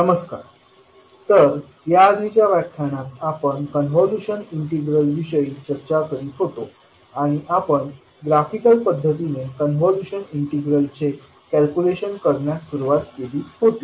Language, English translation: Marathi, Namashkar, so in the last class we were discussing about the convolution integral, and we started with the graphical approach of calculation of the convolution integral